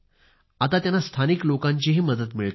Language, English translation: Marathi, They are being helped by local people now